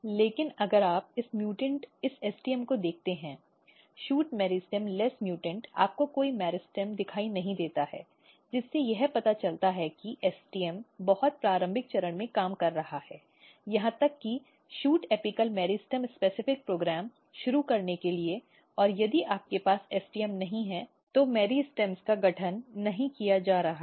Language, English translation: Hindi, But if you look this mutant this st¬m; shoot meristem less mutant here you do not see any meristem, so which suggest that STM is working at very early stage to even initiate shoot apical meristem specific program and if you do not have STM, the meristems are not getting formed